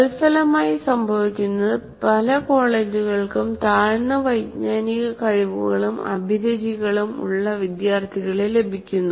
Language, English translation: Malayalam, So as a result what happens is many colleges can find the students with very poor cognitive abilities and motivations